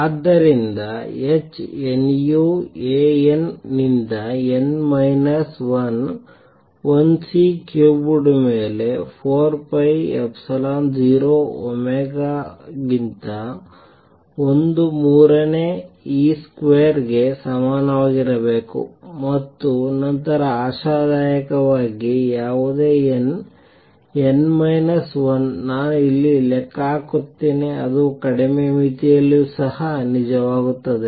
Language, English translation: Kannada, So, h nu A n to n minus 1 should be equal to 1 third e square over 4 pi epsilon 0 omega raise to 4 amplitude square over C cubed and then hopefully whatever a n, n minus 1, I calculate here that will to true in the lower limit also